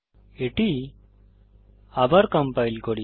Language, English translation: Bengali, Let us compile it again